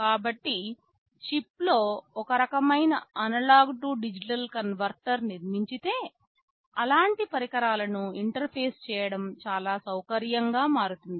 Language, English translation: Telugu, So, if we have some kind of analog to digital converter built into the chip, it becomes very convenient to interface such devices